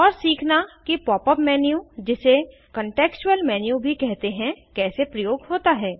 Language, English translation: Hindi, * and learn how to use the Pop up menu also known as contextual menu